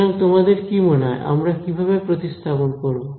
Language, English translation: Bengali, So, how do you think I should replace